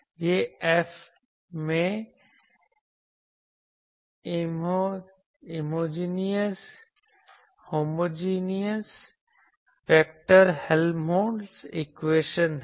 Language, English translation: Hindi, This is the inhomogeneous vector Helmholtz equation in F